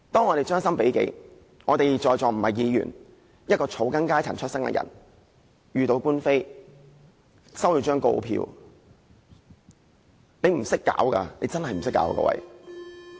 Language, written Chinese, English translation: Cantonese, 我們將心比己，假設我們在座不是議員，而是草根階層，萬一遇到官非，收到告票，真的不知如何是好。, Suppose we are from the grass roots rather than Legislative Council Members we honestly will not know what to do if we get involved in a lawsuit or receive a summons